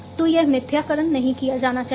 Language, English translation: Hindi, So, this, this falsification should not be done